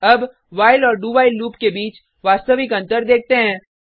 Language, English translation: Hindi, Now, let us see the actual difference between while and do while loops